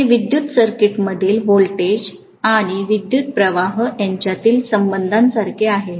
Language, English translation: Marathi, It is very similar to the relationship between voltage and current in an electrical circuit